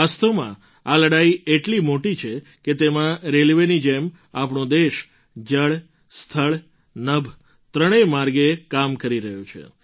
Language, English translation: Gujarati, In fact, this battle is so big… that in this like the railways our country is working through all the three ways water, land, sky